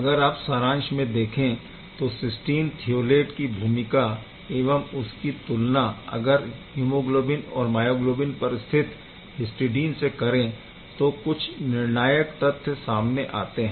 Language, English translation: Hindi, So, just to summarize this part therefore, the role of this cysteine thiolate versus hemoglobin myoglobin this histidine is quite crucial